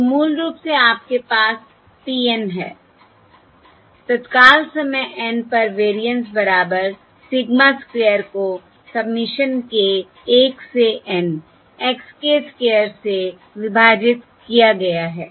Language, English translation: Hindi, So basically, your P of N, the variance at time, instant N, equals sigma square divided by submission k equal to 1 to N x square of k